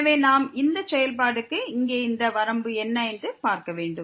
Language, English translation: Tamil, We have this term now so we have to see what is this limit here of this function